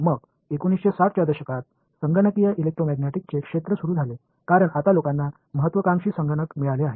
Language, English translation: Marathi, Then around the 1960s is where the field of computational Electromagnetics get started, because now people get ambitious computers are there